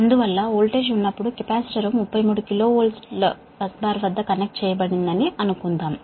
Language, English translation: Telugu, therefore, when voltage is, suppose, suppose capacitor is connected at a thirty three k v bus bar, right